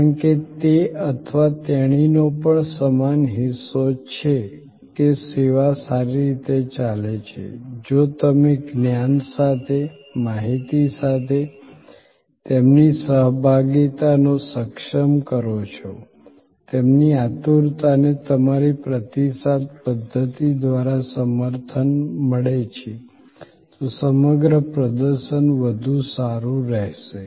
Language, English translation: Gujarati, Because, he or she also has equal stake that the service goes well, if you enable their participation with knowledge, with information, their eagerness is supported by your response mechanism, then on the whole performance will be better